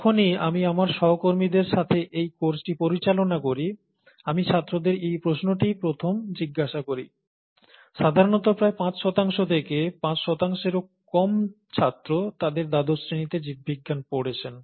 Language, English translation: Bengali, ” This is the first question I ask to students, when whenever I handled this course with my colleagues, and typically about, may be about five percent, or less than five percent would have done biology in their twelfth standard